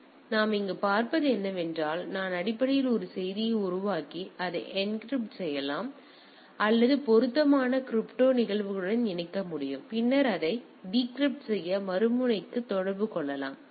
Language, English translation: Tamil, So, what we see here that I can basically create a message and encrypt it or encapsulate it with appropriate crypto phenomena and then communicate to the other end to decrypt it the thing